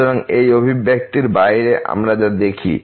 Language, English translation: Bengali, So, out of this expression what we see